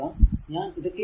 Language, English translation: Malayalam, So, let me clean it